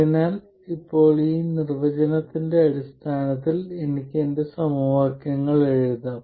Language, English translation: Malayalam, So, now I can write my equations in terms of these definitions